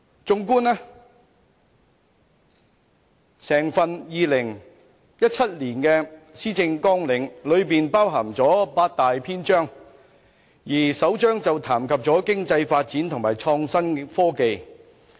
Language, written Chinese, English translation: Cantonese, 綜觀2017年的施政綱領，裏面包含八大篇章，而首章談及經濟發展和創新及科技。, The 2017 Policy Agenda contains eight chapters and the first chapter is about Economic Development and Innovation and Technology